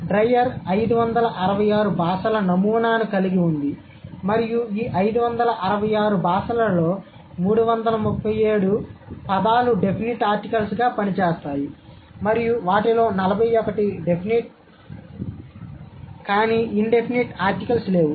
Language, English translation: Telugu, So, dryer had this sample of 566 languages and out of this 566 366, 337 have words or affixes functioning as definite articles and 41 of them have definite but no indefinite articles